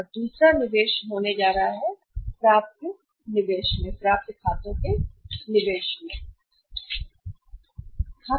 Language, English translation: Hindi, And second investment where is going to be how much that is investment in the receivables